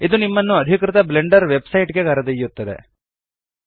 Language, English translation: Kannada, This should take you to the official Blender Website